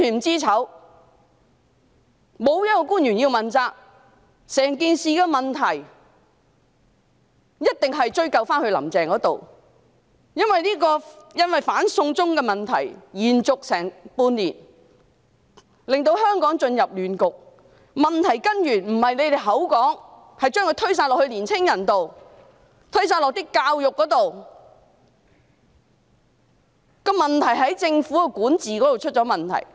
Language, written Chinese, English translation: Cantonese, 整件事牽涉的種種問題，一定要追究到"林鄭"身上，因為"反送中"運動持續差不多半年，令香港陷入亂局，箇中根源並非你們口中的年青人，亦不是教育制度，而是在於政府的管治出現問題。, Carrie LAM must be held accountable for the various issues involved in the whole incident as the anti - extradition to China movement lasting for almost half a year has plunged Hong Kong into a turmoil . The root cause is not the young people as suggested by you people nor is it the education system . The problem lies in the faulty governance of the Government